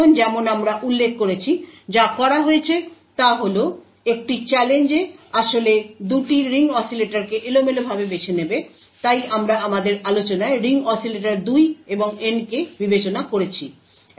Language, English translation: Bengali, Now as we mentioned, what is done is that a challenge would actually pick 2 ring oscillators at random, so we had considered in our discussion the ring oscillator 2 and N